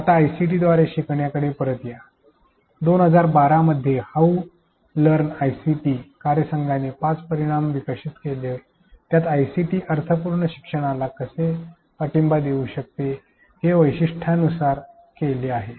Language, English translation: Marathi, Coming back to learning with the ICT; how learn ICT team in 2012 proposed 5 dimensions that characterized how ICT could support meaningful learning